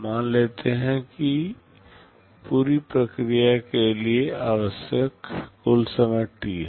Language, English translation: Hindi, Let me assume that the total time required for the whole thing is T